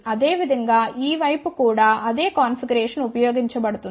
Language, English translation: Telugu, Similarly same configuration has been used in this side also ok